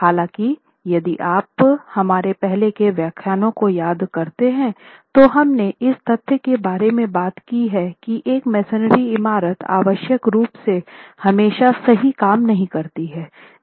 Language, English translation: Hindi, However, if you remember in our earlier lectures, we have talked about the fact that a masonry building may not necessarily work together